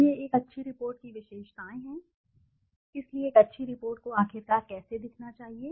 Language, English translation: Hindi, So, this is the characteristics of a good report, so how should a good report look like finally